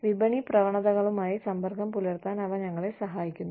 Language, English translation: Malayalam, They help us stay in touch, with the market trends